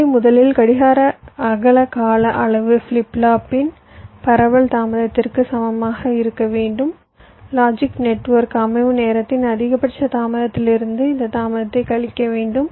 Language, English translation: Tamil, so there your clock width time period must be greater than equal to the propagation delay of the flip flop, the maximum delay of the logic network setup time, minus this delay